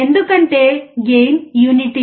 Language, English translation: Telugu, Because the gain is unity